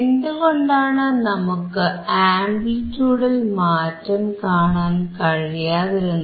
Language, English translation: Malayalam, Why we were not able to see the change in the amplitude